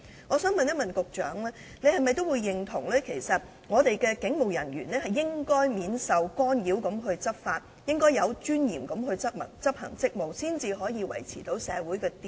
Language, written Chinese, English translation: Cantonese, 我想問局長，是否認同香港的警務人員應該免受干擾地執法和有尊嚴地執行職務，以便維持社會秩序？, I would like to ask if the Secretary agrees that police officers in Hong Kong should enforce the law without being interfered and execute their duties with dignity in order to uphold social order